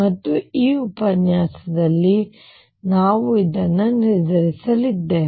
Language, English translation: Kannada, And this is what we are going to determine in this lecture